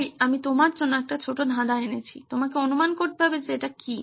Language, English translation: Bengali, So I want to have a short puzzle for you, you have to guess what this is